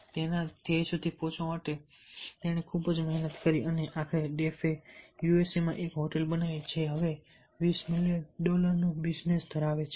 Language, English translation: Gujarati, he worked hard to reach his goal and ultimately, deaf made a hotel in usa which is a twenty million dollar business now